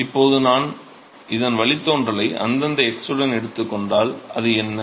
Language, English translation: Tamil, So, now, if I take the derivative of this with respective x, what is that